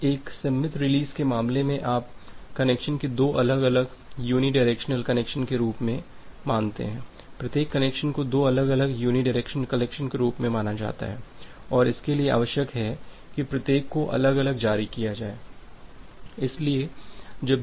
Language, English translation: Hindi, Now, in case of a symmetric release you treat the connection as two separate unidirectional connection, every individual connection is treated as two separate unidirectional connection and it requires that each one to be released separately